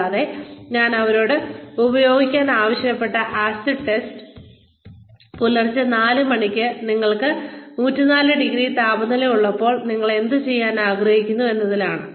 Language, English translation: Malayalam, And, the acid test, that I asked them to use is, what would you like to do, at 4 o'clock in the morning, when you have 104 degrees temperature